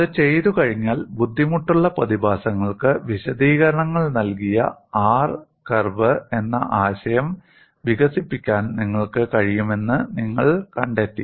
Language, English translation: Malayalam, After doing that, you find you are able to develop the concept of R curve which provided explanations for difficult phenomena